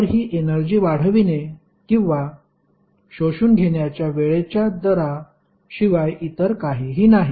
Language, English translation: Marathi, Power is nothing but time rate of expanding or absorbing the energy